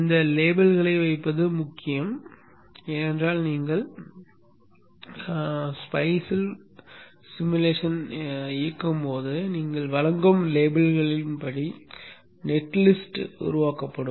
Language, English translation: Tamil, Placing these labels are important because when you run the simulation in spice the net list is generated according to the labels that you would provide